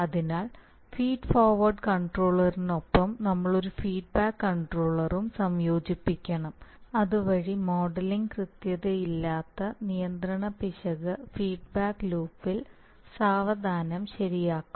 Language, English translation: Malayalam, Therefore, we must combine a feedback controller along with the feed forward controller, so that the control error due to the modeling inaccuracies will be connected, corrected in the feedback loop slowly but eventually they will be corrected